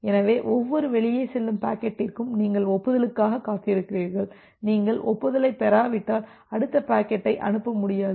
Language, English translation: Tamil, So, for every out going packet you have wait for the acknowledgement, unless you are receiving the acknowledgement, you will not be able to send the next packet